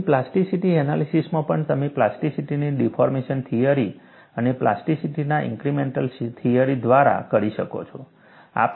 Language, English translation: Gujarati, Even in plasticity analysis, you can do by deformation theory of plasticity and incremental theory of plasticity